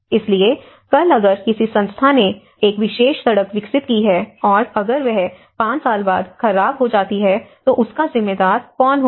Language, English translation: Hindi, So, tomorrow if some agency have developed a particular road and who is going to responsible after 5 years it gets damaged